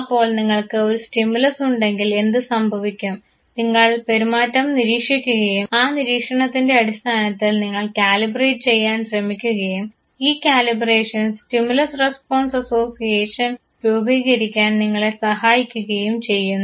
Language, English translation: Malayalam, So, what would happen you have an external stimulus, you observe the behavior and based on the observation you try to calibrate and this calibration helps you form the stimulus response association